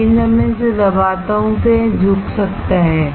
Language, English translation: Hindi, But when I press it, it can bend